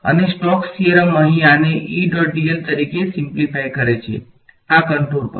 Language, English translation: Gujarati, And Stokes theorem simplifies this over here as E dot dl over the contour